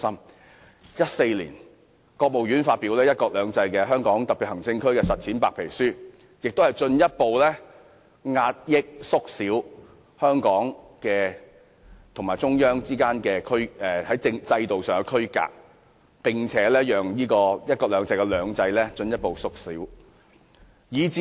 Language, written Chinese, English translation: Cantonese, 國務院於2014年發表《"一國兩制"在香港特別行政區的實踐》白皮書，進一步壓抑、縮小香港與中央之間在制度上的區隔，並使"一國兩制"中的"兩制"進一步縮小。, In 2014 the State Council published the White Paper on The Practice of the One Country Two Systems Policy in the Hong Kong Special Administrative Region to further compress or reduce the systemic divide between Hong Kong and the Central Authorities and further belittle two systems in one country two systems